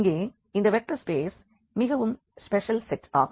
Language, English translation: Tamil, So, here this vector spaces they are the special set here